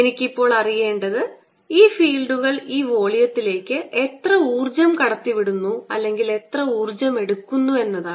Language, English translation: Malayalam, what i want to know now is how much energy is being pumptined by these fields into this volume, or how much energy is being taken away